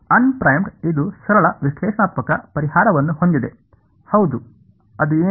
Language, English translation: Kannada, Unprimed does this have a simple analytical solution, yes what is that